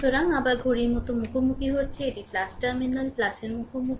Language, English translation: Bengali, So, again encountering clock wise it is going encountering plus terminal plus